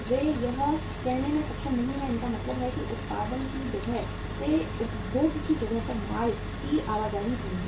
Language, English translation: Hindi, They are not able to say it means the movement of the goods from the place of production to the place of consumption is slow